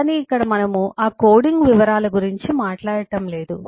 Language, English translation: Telugu, but here we are not talking about those coding details